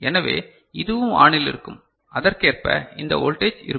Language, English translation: Tamil, So, this this will be also ON and this voltage will be accordingly, is it fine